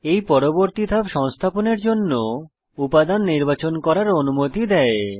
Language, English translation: Bengali, This next step allows you to choose components to install